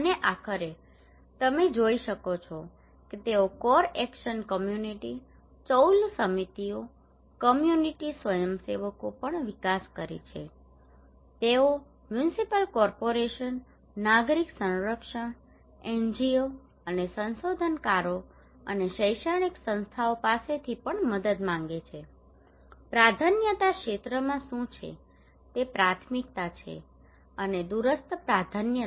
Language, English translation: Gujarati, And finally you can see that they also develop many community committees like Core action community, Chawl committees, Community volunteers also they want help from Municipal Corporations, Civil Defence, NGOs and from the researchers and Academic Institutes, what are the priority areas intermitted priority and remote priority